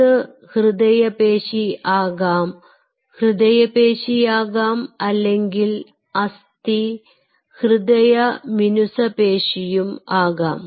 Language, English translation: Malayalam, it could be skeletal muscle, it could be cardiac muscle, skeletal, cardiac, smooth muscle